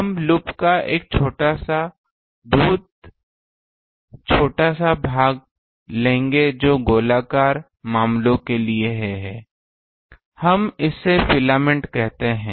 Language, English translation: Hindi, We will take a small portion infinite definite portion ah of the loop that is for circular cases; we call it a filament